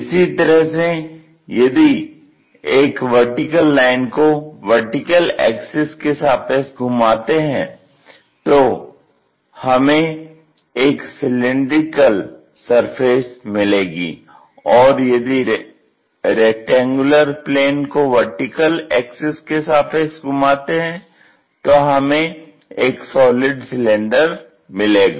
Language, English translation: Hindi, Similarly, a line revolves around this axis give us cylindrical surface; a plane rectangular plane revolving around that axis gives us a cylinder